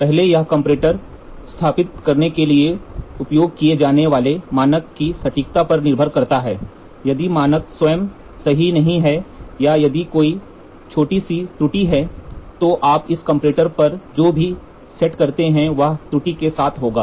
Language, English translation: Hindi, First it depends on the accuracy of the standard used for setting the comparator, if the standard itself is not correct or if there is a small error then whatever you step on this comparator will be with the error